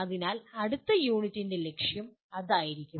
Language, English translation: Malayalam, So that will be the goal of next unit